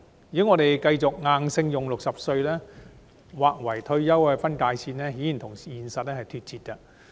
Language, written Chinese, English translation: Cantonese, 如果我們繼續硬性將60歲劃為退休分界線，顯然與現實脫節。, It is obviously out of touch with reality to continue to impose 60 years as the threshold of retirement